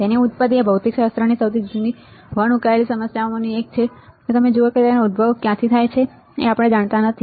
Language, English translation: Gujarati, Its origin is one of the oldest unsolved problem in physics see from where it originates we do not know